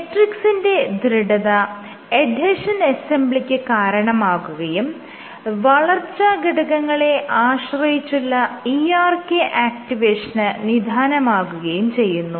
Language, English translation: Malayalam, So, these suggest that you have matrix compliance or stiffness leads to adhesion assembly, and this leads to growth factor dependent ERK activation